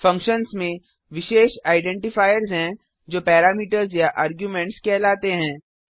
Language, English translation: Hindi, Functions contains special identifiers called as parameters or arguments